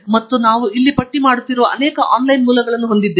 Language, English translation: Kannada, And, we have many such online sources that I am listing here